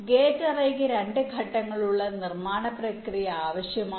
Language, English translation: Malayalam, gate array requires a two step manufacturing process